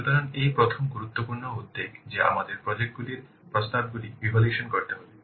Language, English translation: Bengali, So, this is the first important concern that we have to evaluate the proposals for the projects